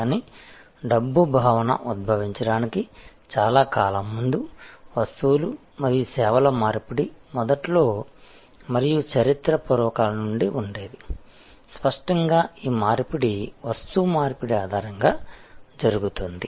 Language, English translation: Telugu, But, long before the concept of money emerged, exchange of goods and services existed from prehistoric times and initially; obviously, these exchange is happened on the basis of barter